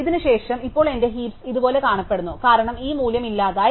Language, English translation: Malayalam, And after this, now my heap only look like this because this value is gone